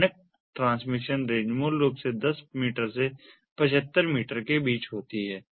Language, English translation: Hindi, the standard transmission range basically varies between ten meters to seventy five meters